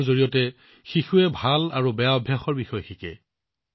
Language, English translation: Assamese, Through play, children learn about good and bad habits